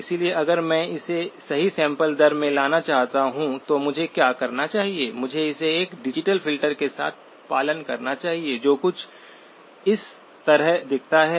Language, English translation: Hindi, So if I want to bring it down to the correct sampling rate, now what should I do is, I must follow it up with a digital filter that looks something like this